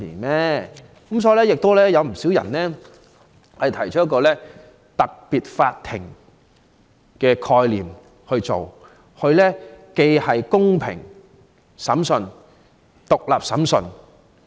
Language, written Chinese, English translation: Cantonese, 因此，有不少人建議成立特別法庭，以進行公平而獨立的審訊。, Thus many people have suggested that special courts should be established to conduct fair and independent trials